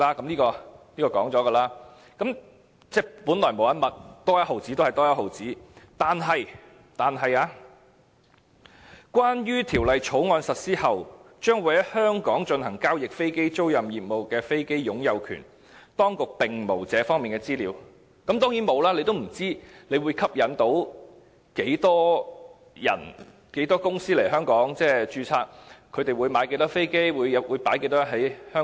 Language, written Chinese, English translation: Cantonese, 這方面已曾提及，即本來無一物，多一毛錢便一毛錢；但政府說"關於條例草案實施後將會在香港進行交易的飛機租賃業務中的飛機的擁有權，當局並無這方面的資料"，當然沒有，因為政府也不知道會吸引多少公司來香港註冊，他們會購買多少飛機或投放多少在香港。, Yet the Government said [T]here is no information on the ownership of such aircraft in the aircraft leasing business that would be transacted in Hong Kong following the implementation of the Bill . Of course it does not have such information . The Government is uncertain how many companies the proposal would attract to register in Hong Kong